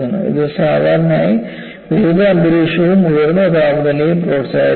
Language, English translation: Malayalam, And this is, usually promoted by aggressive environment and high temperatures